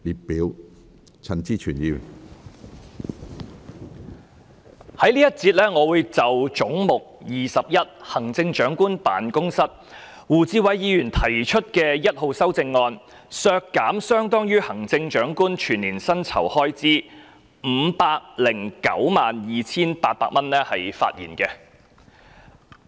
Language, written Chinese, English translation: Cantonese, 我會在這個環節就胡志偉議員因應"總目 21― 行政長官辦公室"而提出編號 1， 削減相當於行政長官全年薪酬開支 5,092,800 元的修正案發言。, In this session I will speak on Amendment No . 1 proposed by Mr WU Chi - wai in respect of Head 21―Chief Executives Office to reduce the head by 5,092,800 an amount equivalent to the expenditure on the emoluments of the Chief Executive for the whole year